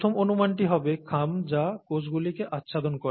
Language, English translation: Bengali, The first guess would be the envelope that covers the cells, right